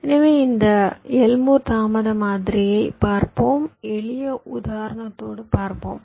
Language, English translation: Tamil, so lets see this elmore delay model